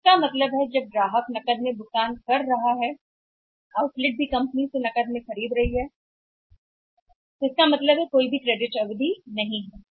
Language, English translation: Hindi, So, it means that when then the customer is paying in the cash the outlet is also as must be buying from the company in cash so it means there is no credit period at all